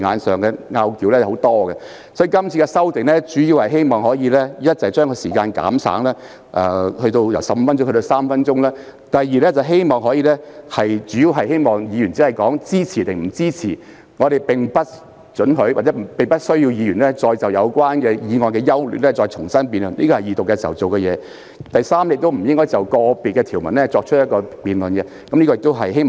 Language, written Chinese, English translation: Cantonese, 是次修訂的主要目的是希望第一，將發言時間由15分鐘減省至3分鐘；第二，規定議員只就支持與否作出表態，而不容許或不需要他們再就有關建議的優劣重新作出辯論，因這應已在二讀程序中完成；以及第三，不用再就個別條文進行辯論。, This amendment concerned aims mainly to achieve the following . First a reduction of the speaking time from 15 minutes to 3 minutes; second Members are required to only express their stance of whether they would support a bill or otherwise and they are not allowed or do not need to discuss again the general merits of the bill or the proposed amendments as these should have been discussed at the Second Reading debate; and third Members shall not have any debate on individual provisions of the bill